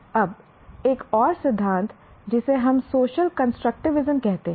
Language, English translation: Hindi, Now another theory is what we call social constructivism